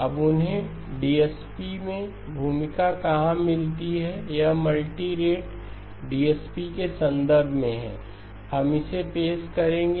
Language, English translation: Hindi, Now where do they find a role in DSP, it is in the context of multirate DSP, we will introduced that